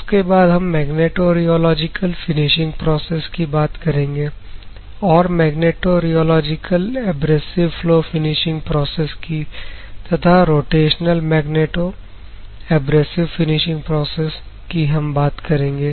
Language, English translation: Hindi, And we move on to magnetorheological abrasive flow finishing process and rotational magnetorheological abrasive flow finishing processes